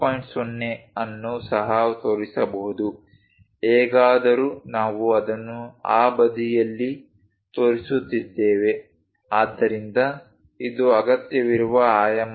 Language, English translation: Kannada, 0, anyway we are showing it on that side so, this is not at all required dimension